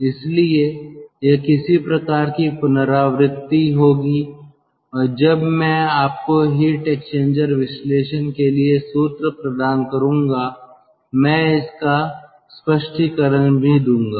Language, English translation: Hindi, so that will be some sort of a recapitulation, and while, ah, i will provide you with the formula for heat exchanger analysis, ah, we will also do some sort of